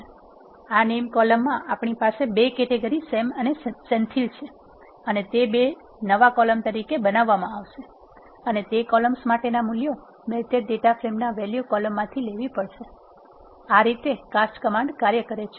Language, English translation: Gujarati, So, in this name column we have 2 categories Sam and Senthil and those will be created as 2 new columns and the values for those columns, have to be taken from the value column of the melted data frame, that is how the cast command works